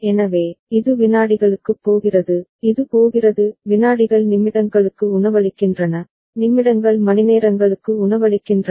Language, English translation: Tamil, So, this is going to the seconds, this is going to the seconds is feeding to the minutes and minutes is feeding to the hours